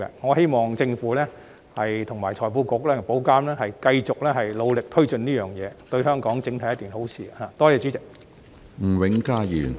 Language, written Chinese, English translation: Cantonese, 我希望政府、財庫局及保監局繼續努力推進此事，因為對香港整體而言是一件好事。, I hope that the Government FSTB and IA can keep working hard to take forward the task as it is beneficial to Hong Kong as a whole